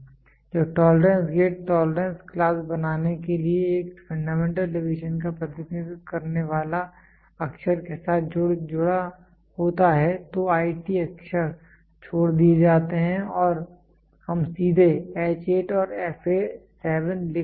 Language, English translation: Hindi, When the tolerance grade is associated with a letter representing a fundamental deviation to form a tolerance class, the letters IT are omitted and we directly write H8 and f 7